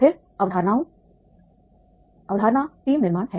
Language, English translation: Hindi, Then the concepts, the team building is the concept